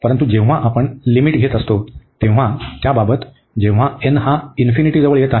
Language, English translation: Marathi, But, when we are taking the limits, so in the limiting case when n is approaching to infinity